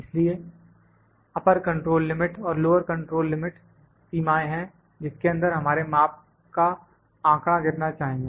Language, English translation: Hindi, So, upper control limit and lower control limit are the limits within which our measurements of data should fall